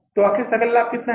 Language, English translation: Hindi, So, finally the gross profit is how much